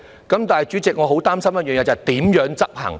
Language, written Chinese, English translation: Cantonese, 可是，主席，我很擔心一點，就是如何執行。, However President I am so worried about one thing ie . how to enforce it